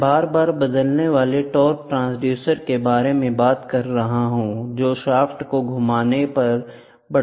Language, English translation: Hindi, I am talking about frequently changing torque transducers are available for mounting on rotating shaft